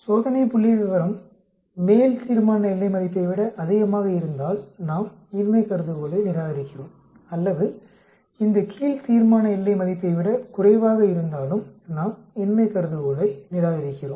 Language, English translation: Tamil, If the test statistics is greater than the upper critical value, then we reject the null hypothesis or if it is lower than this lower critical value also, then we reject the null hypothesis